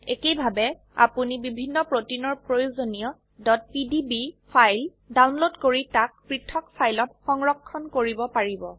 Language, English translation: Assamese, Similarly, you can download the required .pdb files of various proteins and save them in separate files